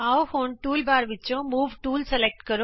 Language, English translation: Punjabi, Let us now select the Move tool from the toolbar